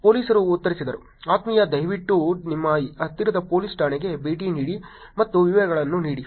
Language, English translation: Kannada, Police replied: dear please visit at your nearest police station and give the details